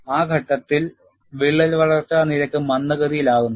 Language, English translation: Malayalam, During that phase, the crack growth rate is retarded